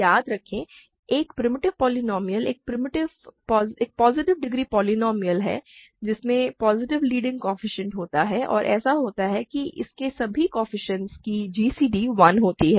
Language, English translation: Hindi, Remember, a primitive polynomial is a positive degree polynomial with positive leading coefficient and such that gcd of all its coefficient is 1